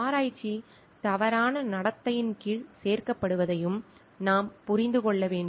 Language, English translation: Tamil, We have to also understand what does not include, get included under research misconduct